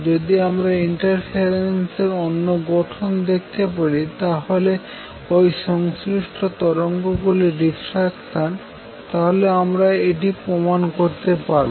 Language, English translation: Bengali, So, if you can show the interference another form of which is diffraction of these associated waves then we prove it